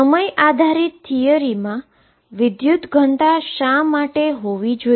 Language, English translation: Gujarati, Why should there be a current density in time dependent theory